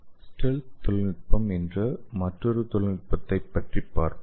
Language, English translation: Tamil, So let us see the another technology called Stealth technology, okay